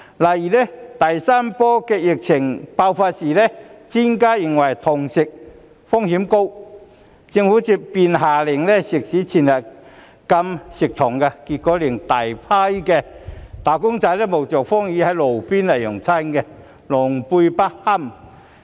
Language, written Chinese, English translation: Cantonese, 例如第三波疫情爆發的時候，專家認為堂食風險高，政府便下令食肆全日禁堂食，結果令大批"打工仔"冒着風雨在路邊用餐，狼狽不堪。, For example when the third wave of the epidemic broke out the Government ordered to ban dine - in services at all times in restaurants after some experts advised that the risks of dine - in services were high . As a result a large number of wage earners were made very embarrassed as they had to finish their meals on the roadside braving the wind and rain